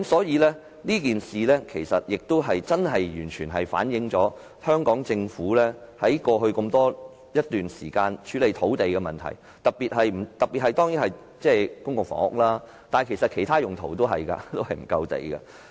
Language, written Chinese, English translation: Cantonese, 這件事情真的完全反映香港政府在過去一段時間處理土地的問題，特別是沒有提供足夠土地興建公共房屋，其實也沒有提供足夠土地作其他用途。, This incident fully reflects the problems of the Government in handling lands in the past period of time in particular its failure to provide adequate land to build public housing units and for other purposes